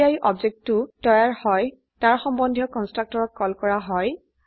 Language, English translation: Assamese, When the object is created, the respective constructor gets called